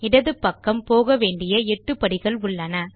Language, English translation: Tamil, On the left, we see 8 steps that we will go through